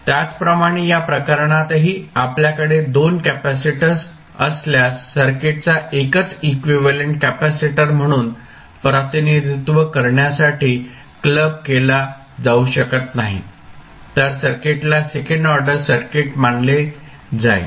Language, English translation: Marathi, Now, if you have a 2 inductors and you cannot simplify this circuit and represent as a single inductor then also it can be considered as a second order circuit